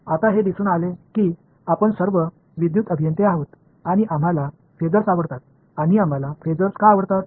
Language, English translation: Marathi, Now, as it turns out we are all electrical engineers and we like phasors and why do we like phasors